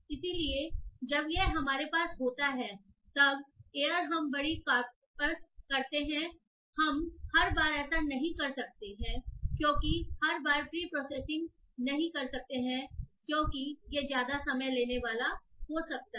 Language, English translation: Hindi, So once we have this most often what happens is that when we have large corpora we may not be doing it every time like we may not be doing the preprocessing every time because it itself might be time consuming